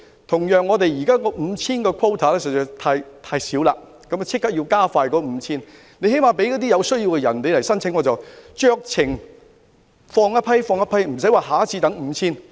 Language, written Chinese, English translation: Cantonese, 同樣，我們現時的 5,000 個限額實在太少，應立即加快批出限額，最低限度讓有需要人士申請，酌情予以批准，不用再等下次批出 5,000 個限額。, Similarly our present quota of 5 000 is really too small . Quotas should be granted expeditiously . At least they should be made available for application by people in need and approved at discretion so that there is no need to wait for another quota of 5 000 to be granted next time